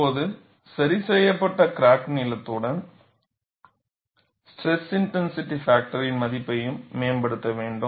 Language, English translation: Tamil, Now, with the corrected crack length we should also improve the value of stress intensity factor, because the whole idea is to get the stress intensity factor